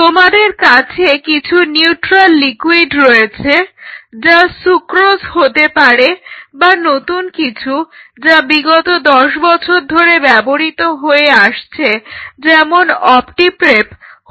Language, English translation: Bengali, So, you have some neutral liquid something it could be sucrose it could be one of the new ones which are being used for last 10 years is opti prep